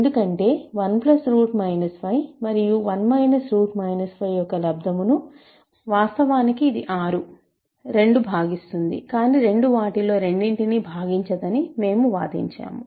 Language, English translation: Telugu, Because 2 divides the product of 1 plus root minus 5 and 1 minus root minus 5 which is actually 6, or 2 divides the product, but we argued that 2 does not divide either of them